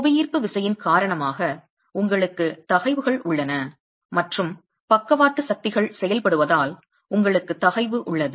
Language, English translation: Tamil, You have stresses due to gravity and you have stresses due to lateral forces acting on it